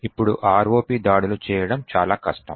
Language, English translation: Telugu, Now ROP attacks are extremely difficult to do